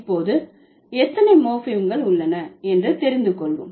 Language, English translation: Tamil, So, now let's find out how many morphems do we have